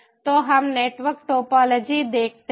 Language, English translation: Hindi, so lets see the network topology